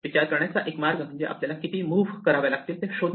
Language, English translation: Marathi, So, one way of thinking about this is just to determine, how many moves we have to make